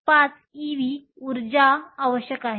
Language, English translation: Marathi, 5 ev which means you need 2